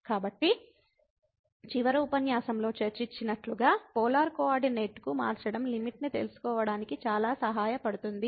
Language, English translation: Telugu, So, as discussed in the last lecture, this changing to polar coordinate is very helpful for finding out the limit